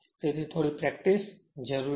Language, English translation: Gujarati, So, little bit practice is necessary